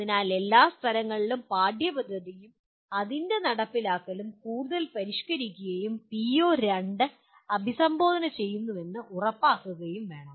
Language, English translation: Malayalam, So at all places the curricula and its implementation should be revised further, revised to make sure that the PO2 is addressed